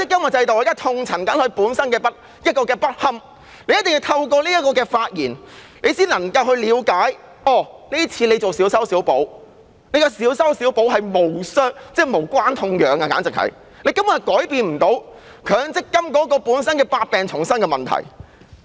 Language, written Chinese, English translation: Cantonese, 我現在正痛陳強積金制度的不堪，市民一定要透過我的發言，才能夠了解政府這次進行的小修小補簡直是無關痛癢，根本無法改變強積金制度本身百病叢生的問題。, I am elaborating on the ineffectiveness of the MPF System . The public can only understand through my speech that the Governments patchy fix this time around is simply useless and cannot in any way change the MPF System which is riddled with problems